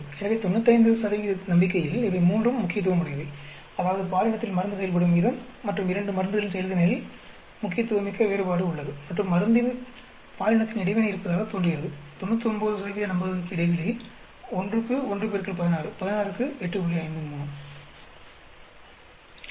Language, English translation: Tamil, So, at 95 percent confidence, all these three are significant; that means, there is significant difference the way the drug acts on gender, the way the performance of the two drugs, and there appears to be a gender into drug interaction, at 99 percent confident interval for 1 into 16 for 1 comma 16 is 8